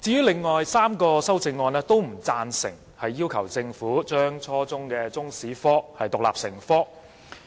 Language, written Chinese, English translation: Cantonese, 另外3項修正案都不贊成要求政府將初中中國歷史科獨立成科。, The other three amendments do not support the proposal of requiring the Government to make Chinese History an independent subject at junior secondary level